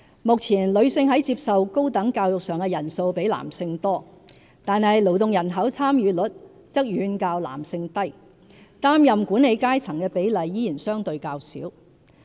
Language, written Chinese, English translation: Cantonese, 目前，女性在接受高等教育上的人數比男性多，但勞動人口參與率則遠較男性低，擔任管理階層的比例依然相對較少。, Although more women receive higher education than men do nowadays the female labour force participation rate is much lower than that of male and the ratio of women assuming managerial role is still relatively low